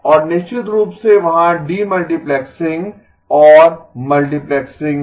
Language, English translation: Hindi, And of course there is the demultiplexing and multiplexing